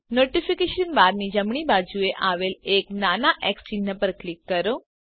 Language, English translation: Gujarati, Click on the small x mark on the right of the Notification bar